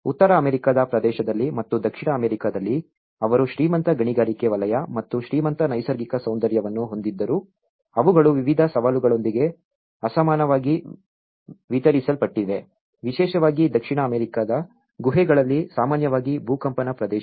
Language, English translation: Kannada, Within the North American region and in South American though they have the richest mining sector and the richest natural beauty but they also have been unequally distributed with various challenges especially, with the earthquakes which is very common in South American caves